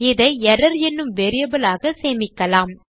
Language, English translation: Tamil, And lets say well store this in a variable called error